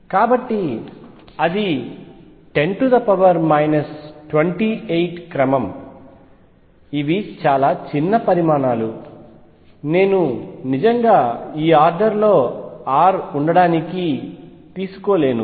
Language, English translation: Telugu, So, that is of the order of 10 raise to minus 28, these are very small quantities I cannot really take r to be in this order